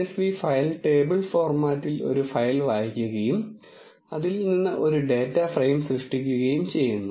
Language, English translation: Malayalam, This read dot csv file reads a file in a table format and creates a data frame from it